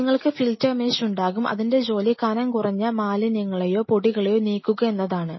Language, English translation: Malayalam, You will have the filter mesh which whose job is thinner trap the impurities or contaminants or the dust and what isoever